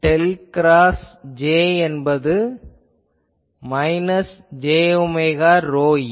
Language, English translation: Tamil, So, I write what is del cross J is minus j omega rho e